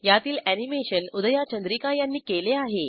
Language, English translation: Marathi, Animation is done by Udhaya Chandrika